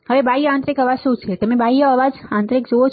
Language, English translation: Gujarati, Now, what are external, internal noise, you see external noise internal noise